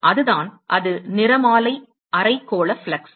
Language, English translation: Tamil, So, that is the, that is the spectral hemispherical flux